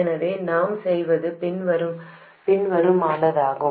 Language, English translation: Tamil, So, what we do is the following